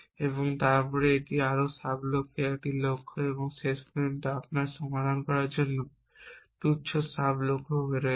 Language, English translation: Bengali, And then that is a goals into more sub goals and eventually you have trivially sub goals to solve